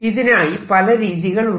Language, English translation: Malayalam, there are several ways